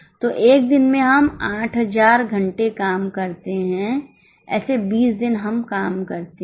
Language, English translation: Hindi, So, in one day we work for 8,000 hours, such 20 days we work